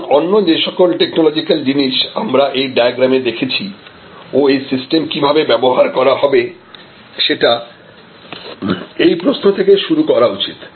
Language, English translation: Bengali, So, all the other technological things that we saw in this kind of diagram and how the system will deployed must start from this question